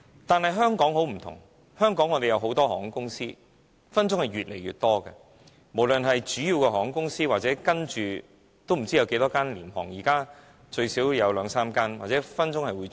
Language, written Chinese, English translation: Cantonese, 但是香港不一樣，香港有很多航空公司，將來很可能會越來越多，無論是主要的航空公司還是未來不知有多少間廉航，如今最少有兩間。, But the case in Hong Kong is different . There are many airlines that fly to Hong Kong and the number will likely increase in future regardless of whether they are traditional airlines or any budget airlines that may emerge in the future . By now we have two budge carriers at least